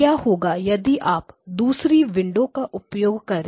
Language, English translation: Hindi, Now what happens if you use other windows